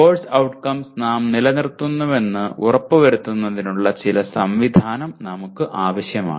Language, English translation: Malayalam, We need some mechanism of making sure that we are retaining the course outcomes